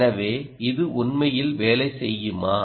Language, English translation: Tamil, so, all nice, does it really work